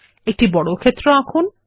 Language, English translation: Bengali, Draw a square